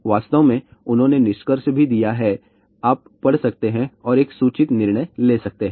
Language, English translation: Hindi, In fact, they have also given conclusion , you can read that and make the informed decision